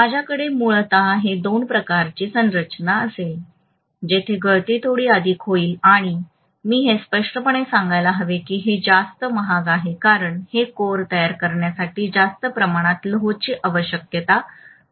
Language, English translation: Marathi, So I will have basically these two types of construction, here the leakage will be slightly more and I should say very clearly this is more expensive because more amount of iron will be needed to construct this core, right